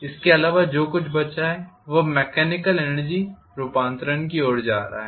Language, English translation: Hindi, Apart from that whatever is left over it is going towards mechanical energy conversion